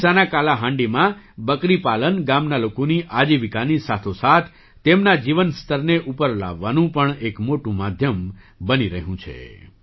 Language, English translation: Gujarati, In Kalahandi, Odisha, goat rearing is becoming a major means of improving the livelihood of the village people as well as their standard of living